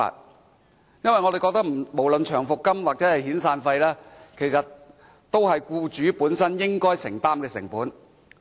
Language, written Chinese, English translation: Cantonese, 我們認為，長期服務金和遣散費都是僱主本身應承擔的成本。, In our view long service payments and severance payments are costs that should be borne by employers